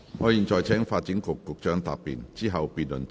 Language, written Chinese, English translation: Cantonese, 我現在請發展局局長答辯，之後辯論即告結束。, I now call upon the Secretary for Development to reply . Then the debate will come to a close